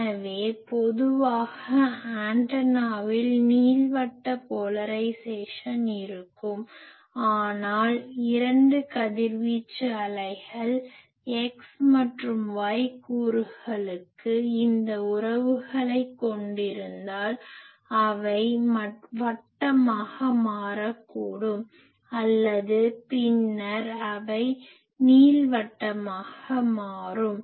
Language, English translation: Tamil, So, in general the antenna will have elliptical polarisation, but if the two radiated waves the X and Y component they have this relationships then they may become circular or then they become elliptical